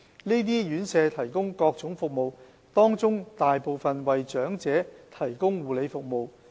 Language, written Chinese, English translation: Cantonese, 這些院舍提供各種服務，當中大部分為長者提供護理服務。, These institutions are currently providing a diverse range of services and the majority of them provide care for elderly persons